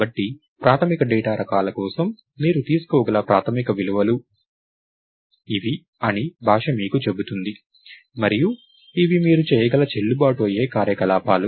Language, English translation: Telugu, So, for the basic data types, the language itself tells you that these are the basic set of values that you can take, and these are the valid operations that you can do, right